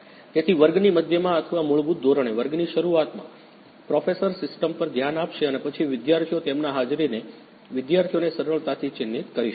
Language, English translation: Gujarati, So, in the middle of the class or in the beginning of the class basically, professor will turn on the system and then students will students can easily mark their attendance